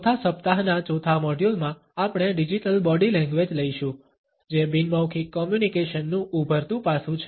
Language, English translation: Gujarati, In the fourth module of the fourth week we would take up digital body language which is an emerging aspect of nonverbal communication